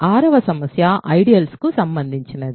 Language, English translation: Telugu, So, 6th problem is about ideals ok